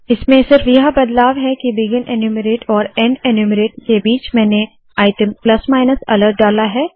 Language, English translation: Hindi, The only difference that I have done now is that between begin enumerate and end enumerate I have put this item plus minus alert